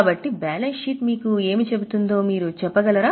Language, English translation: Telugu, So, can you tell what does the balance sheet tell you